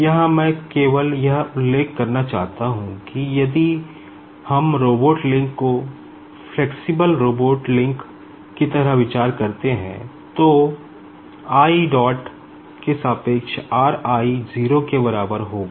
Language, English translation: Hindi, Now, here I just want to mention that if we consider robotic link like flexible robotic link, we cannot assume that this r i with respect to i dot is equal to 0